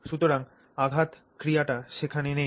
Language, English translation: Bengali, So then the impact action is not there